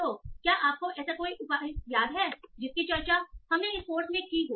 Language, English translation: Hindi, So do you remember any such measure that we discussed in this course